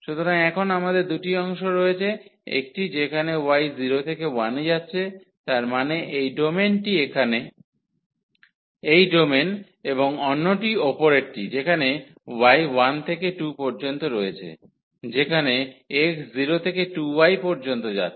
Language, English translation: Bengali, So, we have the 2 parts now; one where y is going from 0 to 1; that means, this domain here this domain and the other one the upper one where y is from 1 to y is from 1 to 2 where the x is going from 0 to 2 minus y